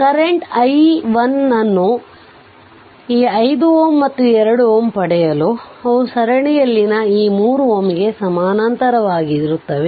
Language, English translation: Kannada, For obtaining the current i1 this 5 ohm and 2 ohm there in parallel right with that this 3 ohm in series